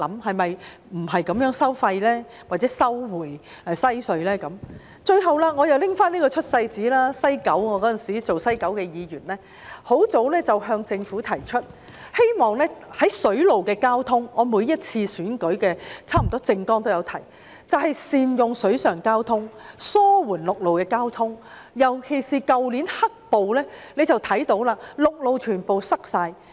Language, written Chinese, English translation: Cantonese, 最後，我又要拿出這張"出世紙"，那時候我剛成為九龍西選區的議員，我早已向政府提出，希望善用水上交通——我差不多每次選舉的政綱都會提及這一點——以紓緩陸路交通擠塞的問題，尤其是從去年的"黑暴"事件中可以看到，陸路全被堵塞。, Finally I have to show you this birth certificate again . At the time when I have just become a Member representing the Kowloon West Constituency I have already proposed to the Government that we should make good use of water transport―I have mentioned this in my election manifesto for almost every campaign―with a view to alleviating the problem of road traffic congestion . In particular we can see that the roads were completely blocked off during the black - clad violence incidents last year